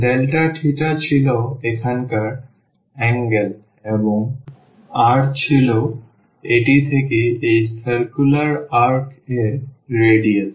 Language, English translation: Bengali, Delta theta was the angle here and the r was the radius from this to this circular arc